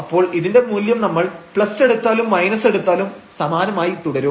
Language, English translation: Malayalam, So, this value whether we take plus and minus will remain the same